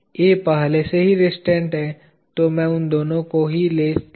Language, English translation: Hindi, A is already restrained, so let me just take those two